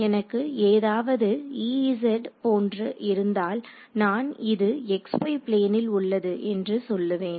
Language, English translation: Tamil, So, if I had something like you know E z, I can say this is in the x y plane